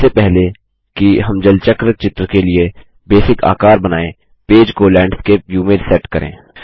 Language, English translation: Hindi, Before we draw the basic shapes for the water cycle diagram, let us set the page to Landscape view